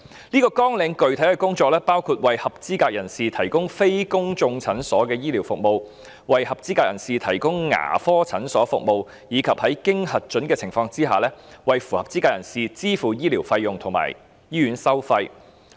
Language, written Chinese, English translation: Cantonese, 這個綱領的具體工作包括"為合資格人士提供非公眾診所醫療服務"、"為合資格人士提供牙科診所服務"，以及"在經核准的情況下，為合資格人士支付醫療費用和醫院收費"。, The specific work under this programme includes providing medical services to eligible persons at non - public clinics providing dental treatment services to eligible persons at dental clinics and effecting payment for medical fees and hospital charges incurred by eligible persons in authorised cases